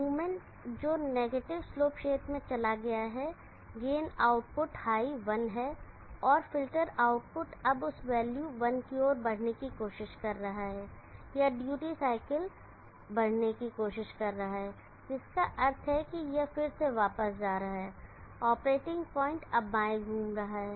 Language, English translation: Hindi, The movement that has gone to the negative slope region the gain output is high 1, and the filter output is trying to rise towards that value 1, or the duty cycle is trying to rise which means that this is again going back the operating point is now moving left